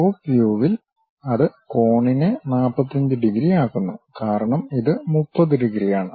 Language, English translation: Malayalam, In the top view, it makes that angle 45 degrees; because this one is 30 degrees